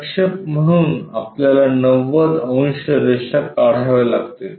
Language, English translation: Marathi, Project so, 90 degrees lines we have to draw